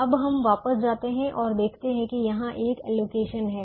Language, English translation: Hindi, now we go back and observe that here there is an allocation